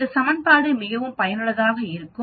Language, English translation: Tamil, This equation is very useful